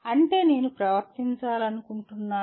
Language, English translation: Telugu, That is, this is the way I wish to behave